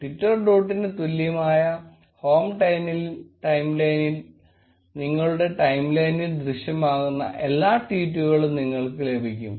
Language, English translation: Malayalam, Timeline equal to twitter dot get home timeline will get you all the tweets, which appear in your timeline